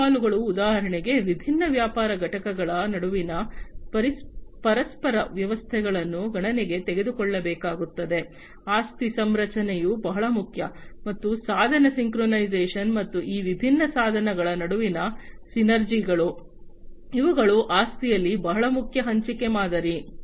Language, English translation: Kannada, The other challenges are like for example, the mutual arrangements among the different business entities will have to be taken into consideration, asset configuration is very important, and the device synchronization, and the synergies between these different devices, these are very important in the asset sharing model